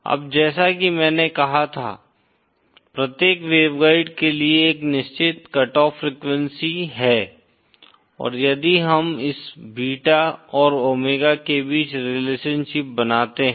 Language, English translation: Hindi, Now, if we as I said, there is a certain cut off frequency for each waveguide, and if we draw a relationship between this beta and omega